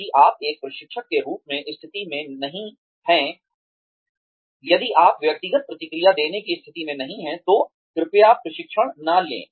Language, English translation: Hindi, If, you are not in a position as a trainer, if you are not in a position to give individual feedback, please do not undertake training